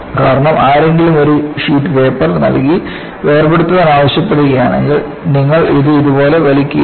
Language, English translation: Malayalam, Because if somebody gives a sheet of paper and ask you to separate, you will not pull it like this